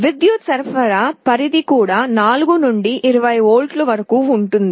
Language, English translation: Telugu, The power supply range is also from 4 to 20 volts